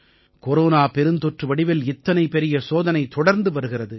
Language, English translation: Tamil, In the form of the Corona pandemic, we are being continuously put to test